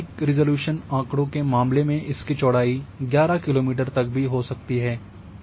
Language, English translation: Hindi, In case of higher spatial resolution data the swath might may the swath width even 11 kilometre